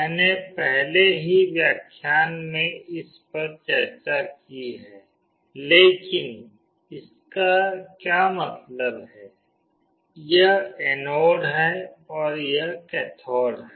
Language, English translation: Hindi, I already discussed this in the lecture, but what does it mean, this is the anode and this is the cathode